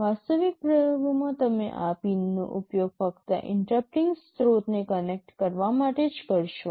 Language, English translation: Gujarati, In the actual experiments you shall be using these pins only to connect interrupting sources